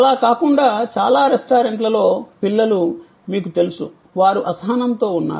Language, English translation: Telugu, Besides that, in many restaurants there are you know children, they are impatient, they would like to play